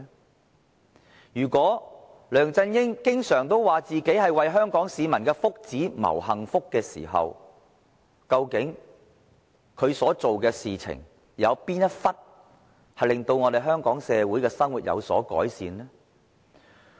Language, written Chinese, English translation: Cantonese, 對於梁振英經常自詡為香港市民謀幸福時，究竟他所做的事情，有哪一部分令香港社會有所改善呢？, As to LEUNG Chun - ying who always brags that he has been working for the well - being of Hong Kong people what actually has he done or which part of his effort has brought improvement to the Hong Kong community?